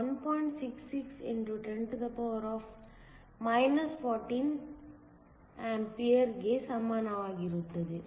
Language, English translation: Kannada, 66 x 10 14 A